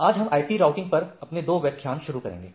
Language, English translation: Hindi, Today we will be starting or starting our couple of lectures on IP Routing